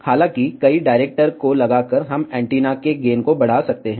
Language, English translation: Hindi, However, by putting multiple directors, we can increase the gain of the antenna